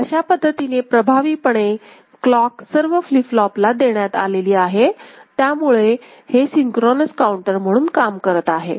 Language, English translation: Marathi, So, effectively the clock is being available to all the three flip flops right which will make it a synchronous counter right